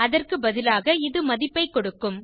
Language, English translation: Tamil, Instead it will give the value